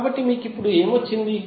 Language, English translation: Telugu, So what you have got now